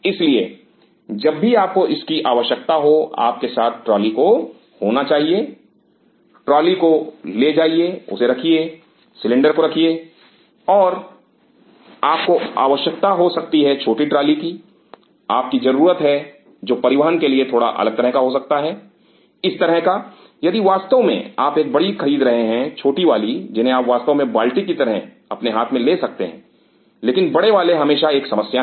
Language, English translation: Hindi, So, whenever you need it you should of the trolley with you, you take the trolley bring this bring the cylinder and you may need there is one more small trolley you may need which is slightly of different kind to transport these kind of if you are really buying a big one the small ones you can really carry in your hand like a bucket, but big ones are always a problem